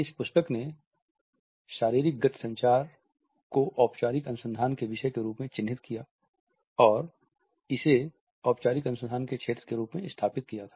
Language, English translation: Hindi, This book had marked the formal research and body motion communication and established it as a field of formal research